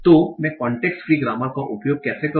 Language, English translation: Hindi, So how do I use use the context free grammar